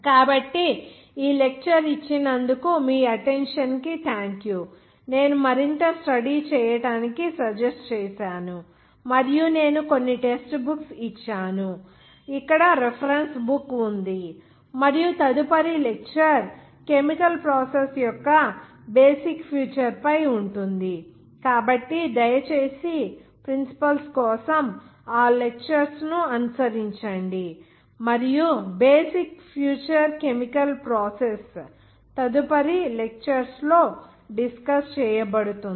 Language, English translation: Telugu, So, thank you for your attention for giving this lecture, I would suggested to go further reading, and I have given some textbooks, reference book here and next lecture will be on basic future of chemical process, so please follow those lectures for the principle and also basic future chemical process and that will be played in the next lecture